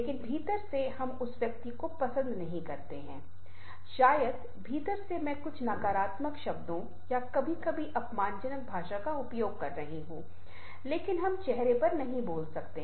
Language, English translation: Hindi, from within perhaps i am using some sort of very negative words or sometimes abusive language, but we cannot to speak on the face